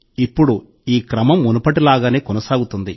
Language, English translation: Telugu, Now this series will continue once again as earlier